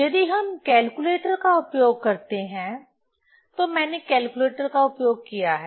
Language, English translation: Hindi, So, if we use calculator, I have used calculator